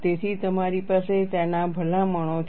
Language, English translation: Gujarati, So, you have recommendations for that